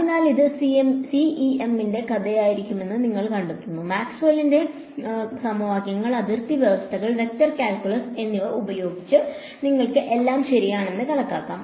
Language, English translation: Malayalam, So, you will find that this is going to be the story of CEM, using Maxwell’s equations, boundary conditions, vector calculus you can calculate everything ok